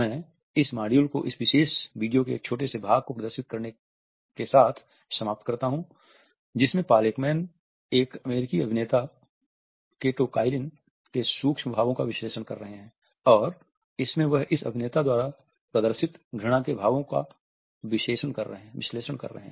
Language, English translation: Hindi, I conclude this module by displaying this particular snippet in which Paul Ekman is analyzing an American actor Kato Kaelins micro expressions and he is analyzing how the expressions of disgust and his con are displayed by this actor